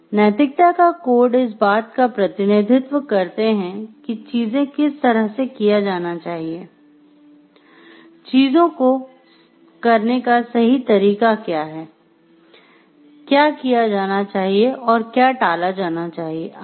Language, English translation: Hindi, Codes of ethics is represents like how thing should be done what is the right way to do the things, what should be done what should be avoided etcetera